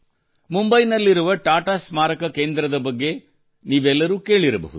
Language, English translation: Kannada, All of you must have heard about the Tata Memorial center in Mumbai